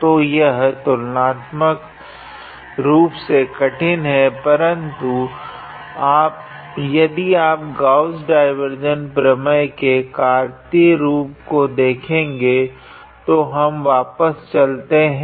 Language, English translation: Hindi, So, its relatively complicated, but if we look into the Cartesian form of Gauss divergence theorem there we had ; so, we can go back